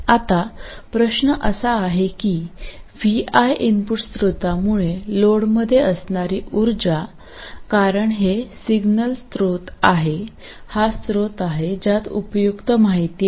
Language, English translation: Marathi, Now the question is if the power in the load due to the input source VI because this is the signal source, this is the source that has useful information